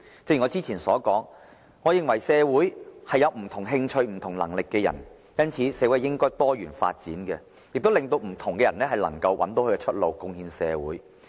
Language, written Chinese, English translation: Cantonese, 正如我之前所說，我認為社會有不同興趣、不同能力的人，因此社會應該多元發展，令不同的人找到出路，貢獻社會。, As I said earlier a society is composed of individuals with different interests and capabilities and it is therefore vital for a society to develop in a pluralistic manner for different people to contribute to the community in different ways